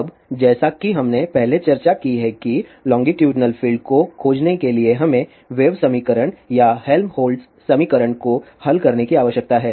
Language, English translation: Hindi, Now, as we have discussed earlier that to find the longitudinal field we need to solve the wave equation or Helmholtz equation